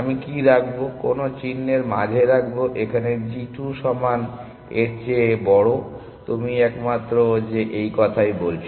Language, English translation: Bengali, What should I put, what symbol should I put in between here g 2 is greater than equal to, you are the only one who are saying that